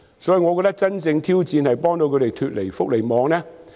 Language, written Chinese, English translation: Cantonese, 所以，我覺得真正的挑戰是幫助長者脫離福利網。, Therefore in my view the real challenge is how to help the elderly leave the welfare net